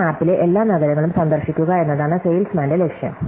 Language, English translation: Malayalam, So, the salesmanÕs goal is to visit every city on this map